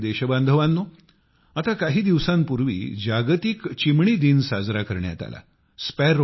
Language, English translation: Marathi, My dear countrymen, World Sparrow Day was celebrated just a few days ago